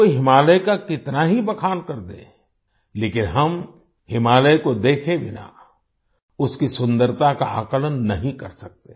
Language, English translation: Hindi, No matter how much one talks about the Himalayas, we cannot assess its beauty without seeing the Himalayas